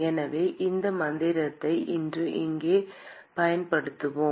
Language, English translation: Tamil, So, we will use this mantra here today